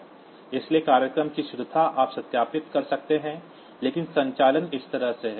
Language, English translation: Hindi, So, correctness of the program, you can verify, but the operations are like that